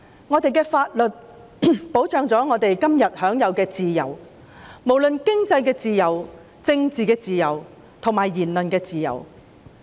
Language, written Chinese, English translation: Cantonese, 我們的法律保障我們今天享有自由，包括經濟自由、政治自由及言論自由。, The protection under our laws enables us to have freedom including freedom in economy and politics and the freedom of expression